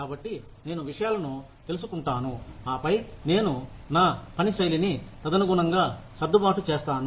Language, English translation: Telugu, So, I find out these things, and then, I adjust my working style accordingly